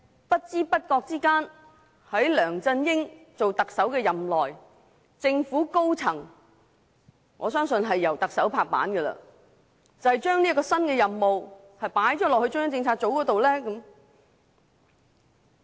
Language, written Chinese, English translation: Cantonese, 不知不覺間，在梁振英出任特首的任內，為何政府高層——我相信這是由特首敲定的——會將這項新任務交給中央政策組呢？, During LEUNG Chun - yings tenure as the Chief Executive why did the senior government officials―I believe this was finalized by the Chief Executive―give this new mission to CPU without our knowledge?